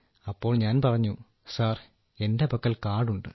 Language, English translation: Malayalam, Then I said sir, I have it with me